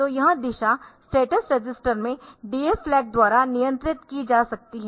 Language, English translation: Hindi, So, this direction can be controlled by that DF flag in that status register